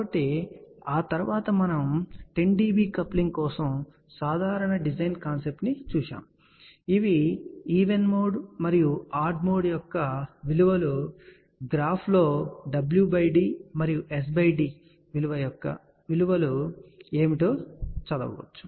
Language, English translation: Telugu, So, after that we had looked at the basic design concept that for 10 dB coupling, these are the values of even and odd mode and from the graphs we had read what are the values of w by d and S by d